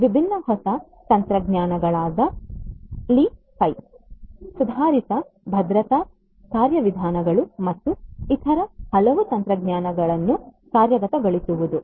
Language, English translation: Kannada, Implementing different newer technologies such as Li – Fi, advanced security mechanisms and many different other technologies